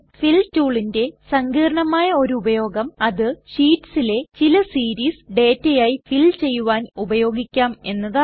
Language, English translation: Malayalam, A more complex use of the Fill tool is to use it for filling some series as data in sheets